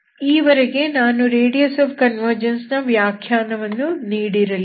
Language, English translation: Kannada, That is what is the meaning of radius of convergence, okay